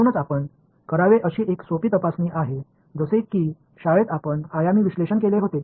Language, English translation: Marathi, So, that is one simple check that you should do, like in school we should do dimensional analysis right